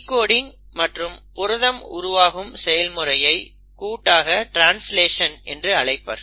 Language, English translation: Tamil, That process of decoding and the actual formation of proteins is what you call as translation